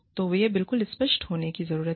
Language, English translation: Hindi, So, these need to be absolutely clear